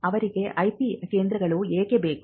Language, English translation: Kannada, Why do they need IP centres